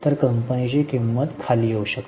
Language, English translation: Marathi, So, the price of the company may drop